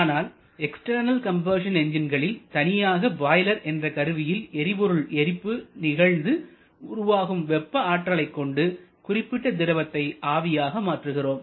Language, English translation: Tamil, However in case of external combustion engine you have a separate combustor commonly called a boiler where we burned the fuel produces a thermal energy and then we use the thermal energy to convert certain liquid to gaseous stage